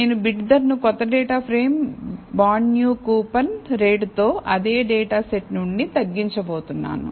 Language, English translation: Telugu, So, I am going to regress bid price from the new data frame bonds new with coupon rate from the same data set